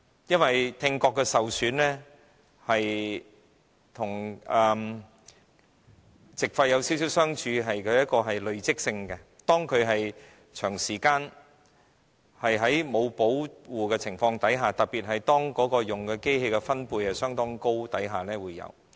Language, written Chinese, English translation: Cantonese, 因為聽覺的受損與肺塵埃沉着病的相似地方是累積性，當工人長時間在沒有保護的情況下，特別是當使用相當高分貝的機械的情況下而導致。, Similar to pneumoconiosis hearing impairment is also accumulative . After workers have worked without any protective equipment for a long period of time particularly if they have to operate high - decibel machines their hearing will be impaired